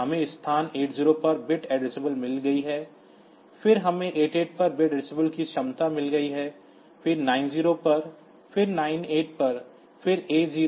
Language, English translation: Hindi, So, that at that point we have got this bit addressable feature like we have got the bit addressability at location 8 0, then we have got bit address ability at 8 8, then at 9 0, then 9 8, then A 0 A 8 B 0 B 8